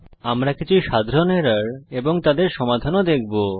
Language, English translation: Bengali, Now let us see some common errors which we can come accross